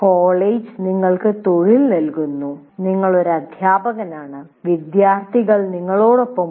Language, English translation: Malayalam, He's giving you employment, you're a teacher, and these are the students that are with you